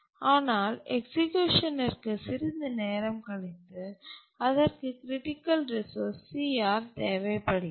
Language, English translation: Tamil, But after some time into the execution it needed the critical resource here